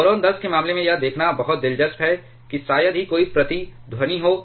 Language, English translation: Hindi, In case of boron 10 it is very interesting to observe that there is hardly any resonance